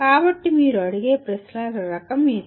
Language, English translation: Telugu, So that is the type of questions that you would ask